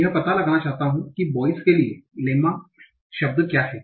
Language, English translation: Hindi, I want to find out what is the lemma for the word boy